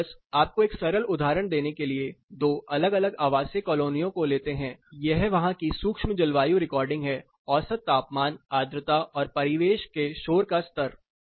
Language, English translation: Hindi, But, just to give you a simple example taking two different housing colonies, this is like micro climate recording of that particular thing temperature humidity and the ambient noise level